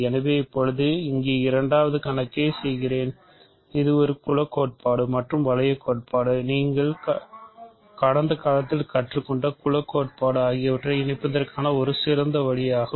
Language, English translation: Tamil, So now, let me do a second problem here which is actually a good way to combine group theory and ring theory, group theory that you learned in the past